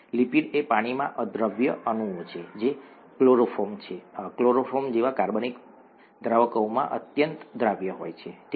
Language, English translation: Gujarati, ‘Lipids’ are water insoluble molecules which are very highly soluble in organic solvents such as chloroform, okay